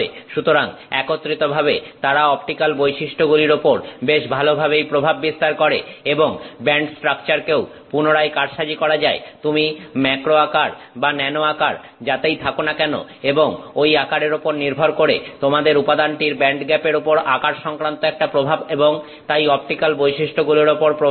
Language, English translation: Bengali, So, together they impact the optical properties quite a bit and the band structure can further be manipulated whether you are in macro size or in nano size and based on that size you have a size related impact on the band gap of the material and therefore on the optical properties